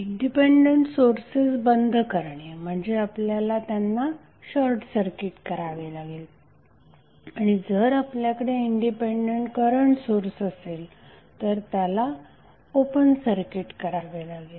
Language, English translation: Marathi, Switching off the independent source means, if you have independent voltage source you will short circuit and if you have an independent current source you will open circuit